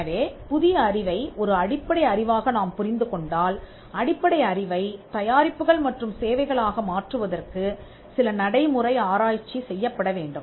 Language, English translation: Tamil, So, if you understand the new knowledge as a basic knowledge that has to be some applied research that needs to be done for converting the basic knowledge into products and services